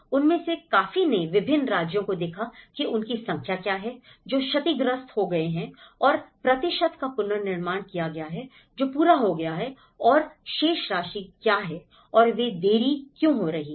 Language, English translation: Hindi, Many of that, they looked at different states, what are the number, which has been damaged and the percentage have been reconstructed, which have been completed and what is the balance okay and why they are delayed